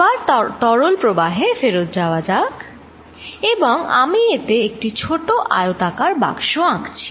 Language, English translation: Bengali, Let us again go back to fluid flow, and I will make in this the rectangular small box